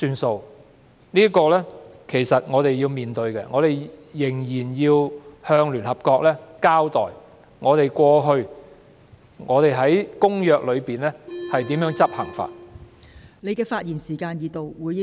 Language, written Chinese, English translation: Cantonese, 這是我們要面對的問題，我們仍要向聯合國交代香港過去如何執行《公約》的條文。, This is an issue that we have to face up to and we still have to explain to the United Nations how Hong Kong has implemented the provisions of the Convention in the past